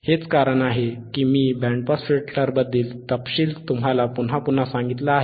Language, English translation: Marathi, That is why this is athe reason that we have why I have told you againrepeated the details about the band pass filter,